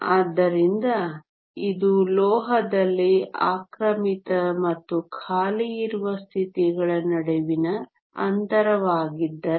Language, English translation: Kannada, So, if this is the gap between the occupied and the unoccupied states in the metal